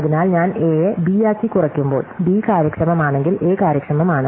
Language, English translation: Malayalam, So, when I reduce A to B, if B is an efficient, then A is efficient